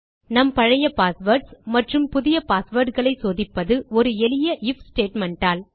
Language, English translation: Tamil, Checking our old passwords and our new passwords is just a simple IF statement